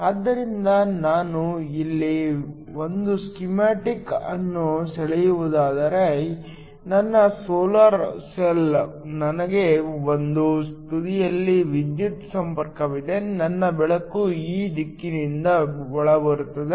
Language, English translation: Kannada, So, if I were to draw a schematic of this here, is my solar cell I have electrical contacts at one end, my light is incoming from this direction